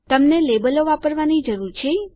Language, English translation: Gujarati, You need to use the labels